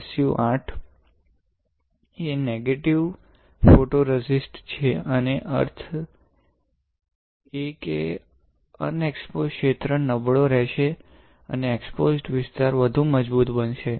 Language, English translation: Gujarati, So, SU 8 x is a negative photoresist; that means, the unexposed region will be weaker and the exposed region would be stronger